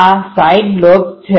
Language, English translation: Gujarati, These are the side lobes